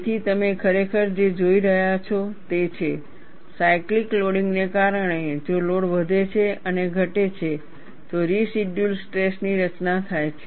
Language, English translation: Gujarati, So, what you are really looking at is, because of cyclical loading, if the load is increased and decreased, there is residual stress formation